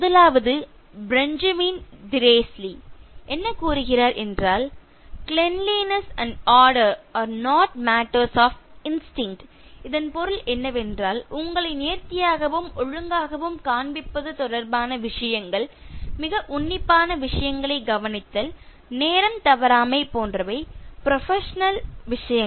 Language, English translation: Tamil, The first one from Benjamin Disraeli who says, “Cleanliness and order are not matters of instinct;” it means, things related to showing you as neat and orderly, okay, like a thorough professional in terms of meticulousness to detail, following time, etc